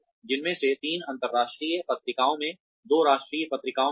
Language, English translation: Hindi, Out of which, three were in international journals, two were in national journals